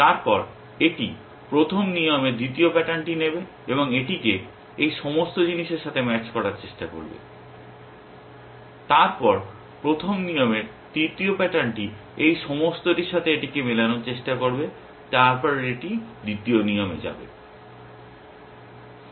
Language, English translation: Bengali, Then, it will take the second pattern of the first rule and try matching it with all these things, then the third pattern of the first rule try matching it with all of this then it will go to the second rule